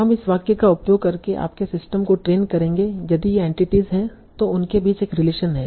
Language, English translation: Hindi, So you will train your system using, okay, in this sentence, if these are the entities, this relation between them